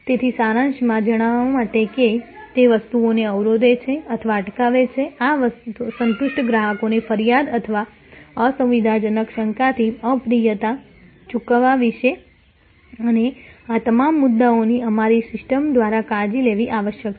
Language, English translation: Gujarati, So, to summarize that the things that bar or deter, this satisfied customers from complaining or inconvenient doubt about pay off unpleasantness and all these issues must be taking care of by our your system